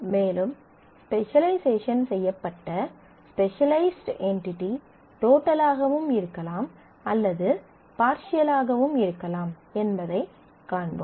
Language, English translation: Tamil, And we will see that when we specialized the specialized entity could be total or they could be partial